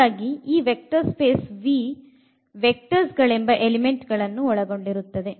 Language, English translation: Kannada, So, this vector space is a set V of elements and called vectors